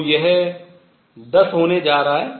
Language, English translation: Hindi, So, this is going to be 10